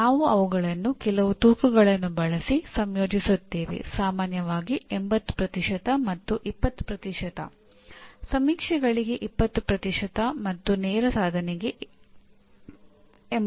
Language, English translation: Kannada, And we combine them using some weights, typically 80% and 20%, 20% to surveys and 80% to direct attainment